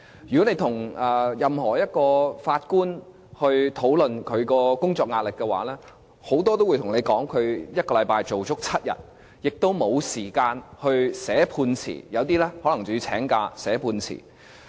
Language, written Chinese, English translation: Cantonese, 如果你與法官討論他們的工作壓力的話，許多都會向你表示，他們是1星期做足7天，亦都沒有時間寫判詞，有一些法官更可能要請假寫判詞。, If you discuss with the judges about their work pressure many of them will tell you that they work seven days a week that they have little time to write verdicts and that they may even have to take a day off in order to write their verdicts